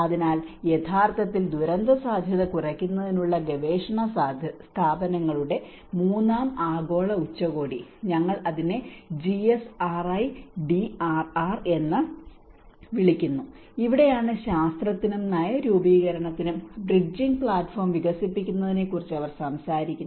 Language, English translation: Malayalam, So, in fact the Third Global Summit of research institutes of disaster risk reduction where we call it GSRIDRR and this is where they talk about the expanding the platform for bridging science and policy make